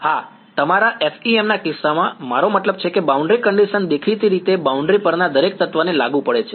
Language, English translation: Gujarati, Yeah in the case of FEM your, I mean the boundary condition applies to every element on the boundary obviously